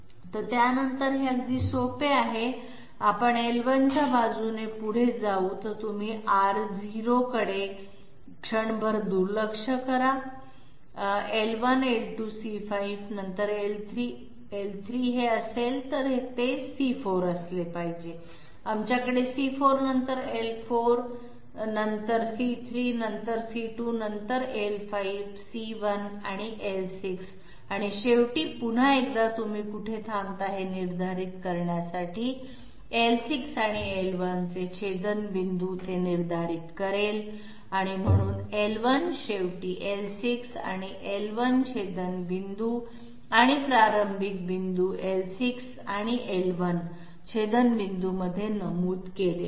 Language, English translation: Marathi, So, after that it is quite simple, we move along L1 if you if you ignore R0 for the moment, L1, L2, C5, okay L1, L2, C5 then L3, L3 is this then it must be C4, we have C4 then L4 then C3 then C2 then L5, C1 and L6 and at the end once again in order to determine where you stopped, the intersection of L6 and L1 will determine that, so L1 is mentioned at the end, L6 and L1 intersection and in the starting point L6 and L1 intersection